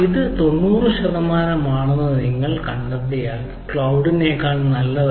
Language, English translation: Malayalam, so if you see ninety percent, then it is better than this cloud